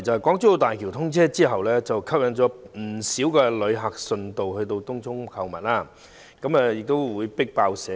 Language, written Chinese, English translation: Cantonese, 港珠澳大橋通車後吸引了不少旅客順道前往東涌購物，甚至"迫爆"社區。, With the commissioning of the Hong Kong - Zhuhai - Macao Bridge HZMB many visitors are attracted to go to Tung Chung for shopping and the community is overflowing with people